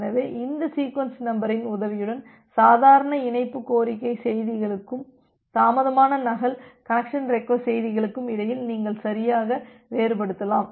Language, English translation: Tamil, So that way, you can properly differentiate between with the help of this sequence number between the normal connection request messages and a delayed duplicate connection request messages